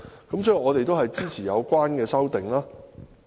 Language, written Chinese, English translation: Cantonese, 所以，我們支持有關的修正案。, Therefore we support the amendments